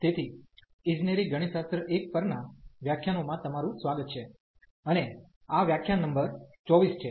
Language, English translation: Gujarati, So, welcome to the lectures on Engineering Mathematics 1, and this is lecture number 24